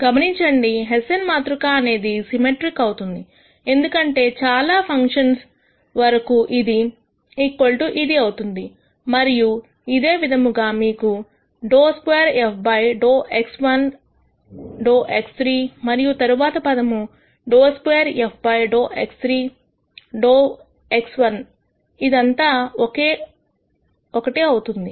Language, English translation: Telugu, Also notice that this hessian will be a symmetric matrix because for most functions this equals this and similarly you will have dou squared f dou x 1 dou x three the next term here will be dou squared f dou x 3, dou x 1 which will be the same